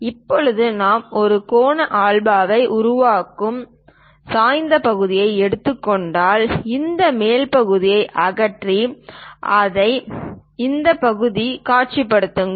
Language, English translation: Tamil, Now if we are taking an inclined section making an angle alpha, remove this top portion, remove it and visualize this part